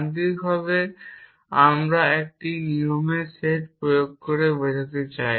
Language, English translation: Bengali, By mechanically we mean by applying a set of rules which can be then by human as well